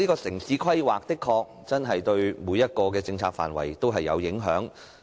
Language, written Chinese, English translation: Cantonese, 城市規劃的確對每個政策範疇都有影響。, Indeed town planning has a bearing on every policy area